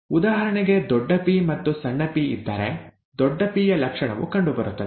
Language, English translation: Kannada, For example, if there is a capital P and a small p, the trait of capital P is what would be seen